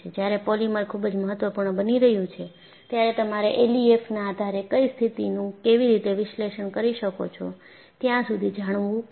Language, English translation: Gujarati, When polymers are becoming very important, you will have to know until what condition you can analyze it, based on L E F M